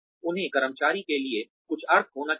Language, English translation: Hindi, They should have some meaning for the employee